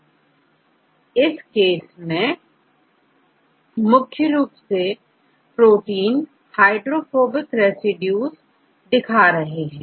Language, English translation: Hindi, In this case this protein, this region is predominantly with the hydrophobic residues